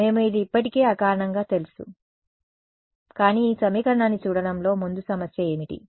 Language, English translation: Telugu, We have already knew this intuitively, but forward problem looking at this equation is what